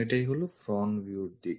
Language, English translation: Bengali, This is the front view direction